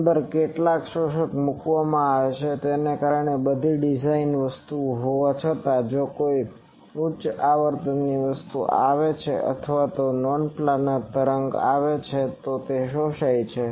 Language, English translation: Gujarati, Inside some absorbers are put because in spite of all the design things, if any high frequency things come or non planar waves comes then that gets absorbed